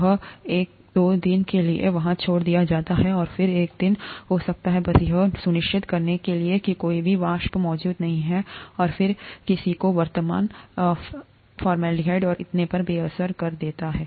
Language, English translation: Hindi, It is left there for a day or two, and may be a day more, just to make sure that none of the vapours are present, and then somebody gets in and neutralizes the present formaldehyde and so on so forth